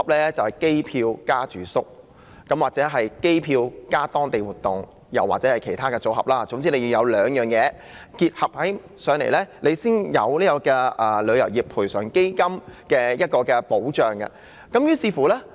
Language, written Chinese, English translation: Cantonese, 原來是指機票加住宿、機票加當地活動，又或是其中兩種，總之必須同時購買兩種產品才可獲得賠償基金的保障。, It means the purchase of air tickets plus accommodation air tickets plus local activities or both of them . In short a customer will be protected under TICF only if he has purchased two kinds of products at the same time